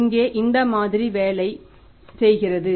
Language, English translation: Tamil, This model is something like this